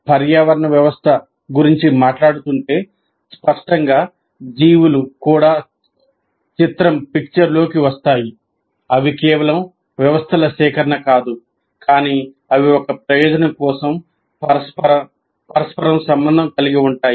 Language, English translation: Telugu, And they're not mere collection of entities, but they're interrelated for a purpose